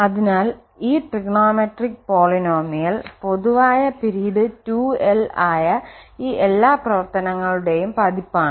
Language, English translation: Malayalam, So, for this trigonometric polynomial which is just the edition of all these functions whose common period is 2l